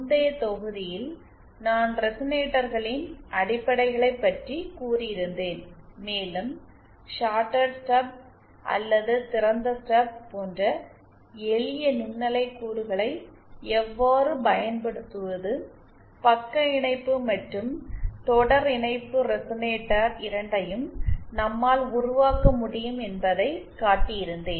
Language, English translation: Tamil, In the previous module, I had covered the basics of resonators and I had shown that how using simple microwave components like a shorted stub or an open stub, we can build both shunt and series resonator